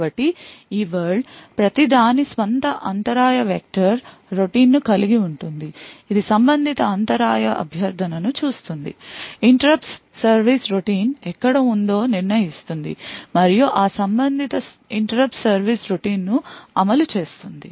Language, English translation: Telugu, So, each of these worlds would have its own interrupt vector routine which would then look up the corresponding interrupt request determine where the interrupt service routine is present and then execute that corresponding interrupt service routine